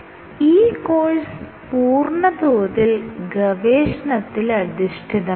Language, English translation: Malayalam, This course is research oriented